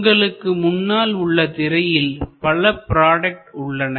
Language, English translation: Tamil, Now, in front of you on your screen you have number of products